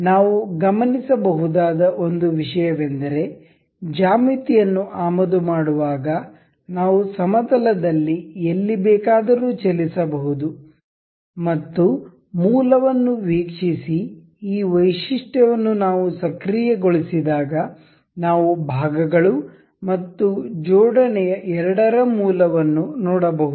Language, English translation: Kannada, One thing we can note is that while importing the geometry we can move anywhere in the plane and while we have activated this feature of a view origins we can see the origins of both the parts and the assembly